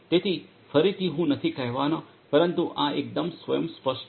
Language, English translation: Gujarati, So, again I am not going to go through, but this is quite self explanatory